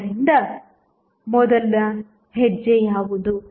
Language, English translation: Kannada, So, what is the first step